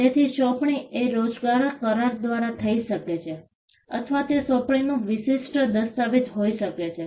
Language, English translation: Gujarati, So, an assignment can be by way of an employment contract or they can be a specific document of assignment